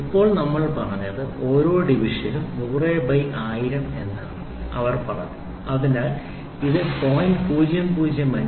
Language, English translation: Malayalam, So, now what we have said is they said each division is 1 by 100000 so, which is nothing, but 0